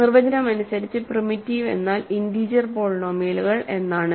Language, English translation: Malayalam, Primitive by definition means integer polynomials